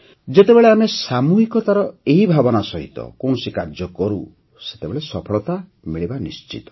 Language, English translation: Odia, When we perform any work with this spirit of collectivity, we also achieve success